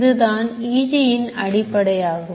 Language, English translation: Tamil, This is the basis of EEG